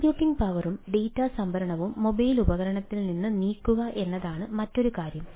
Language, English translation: Malayalam, so other thing is that moving computing power and data storage away from the mobile device